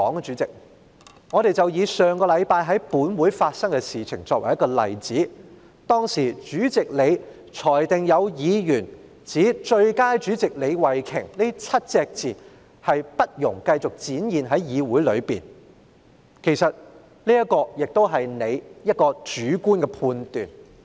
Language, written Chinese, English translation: Cantonese, 主席，不如以上星期在本會發生的事情為例，當時主席作出裁決，指"最佳主席李慧琼"這7個字不容繼續在議會內展示，其實這亦是主席你的主觀判斷......, Chairman let me take what happened in this Council last week as an example . Back then the Chairman ruled that the phrase Starry LEE the best Chairman should not continue to be displayed in the legislature anymore actually this is also your subjective judgment Chairman